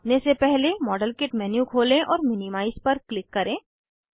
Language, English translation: Hindi, Before we measure, open the modelkit menu and click on minimize